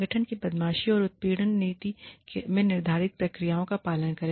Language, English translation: Hindi, Follow procedures, laid down in the organization's bullying and harassment policy